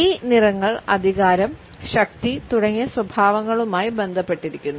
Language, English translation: Malayalam, These colors are associated with traits like authority and power